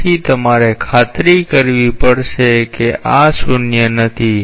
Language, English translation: Gujarati, So, you have to make sure that these are nonzero